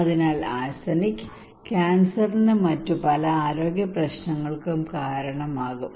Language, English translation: Malayalam, So arsenic can cause cancer and many other health problems